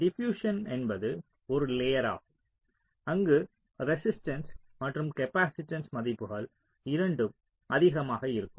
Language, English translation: Tamil, so diffusion is one layer where both the resistance and the capacitance values are higher